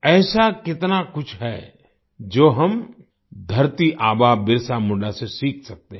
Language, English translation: Hindi, There is so much that we can learn from Dharti Aba Birsa Munda